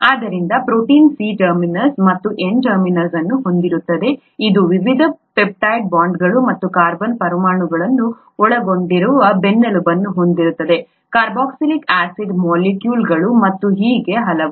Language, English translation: Kannada, So a protein has a C terminus and an N terminus, it has a backbone consisting of the various peptide bonds and carbon atoms, carboxylic acid molecules and so on